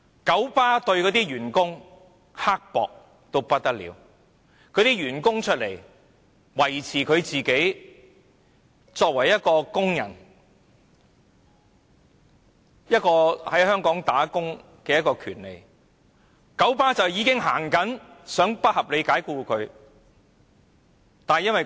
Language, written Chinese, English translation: Cantonese, 九巴對待員工非常刻薄，員工挺身維護自己作為工人在香港工作的權利，九巴便已經想不合理地解僱他們。, KMB is very mean to its staff . When some of its staff members stood up to strive for their fellow workers rights in Hong Kong KMB was thinking of dismissing them unreasonably